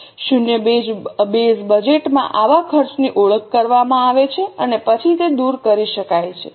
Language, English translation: Gujarati, In zero based budgeting, such expenses are identified and then they can be eliminated